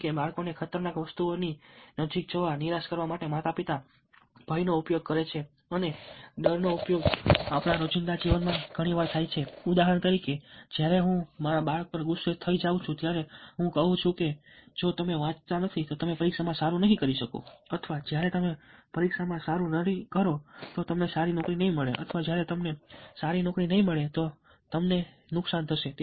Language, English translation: Gujarati, parents use fear from the get code to discourage children from approaching dangerous objects, and fear appeal is very often used in our day, today, life, as, for instance, of when i get angry with my child, i say that if you dont read, then you will not be able to do well in the exam, when you dont do well in the exam, then you dont get a good job, and then, when you dont get a good job, then you will suffer